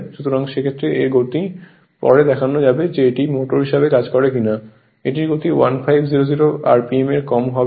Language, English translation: Bengali, So, in that case its speed will be later will see if it acts as a motor its speed will be less than your 1,500 RMP right